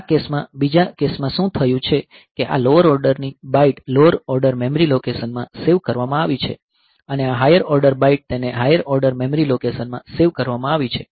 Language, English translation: Gujarati, So, in this case in the second case what has happened is that this lower order byte it has been saved in the lower order memory location and this higher order byte it has been saved in the higher order memory location